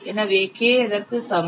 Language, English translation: Tamil, So, K is equal to what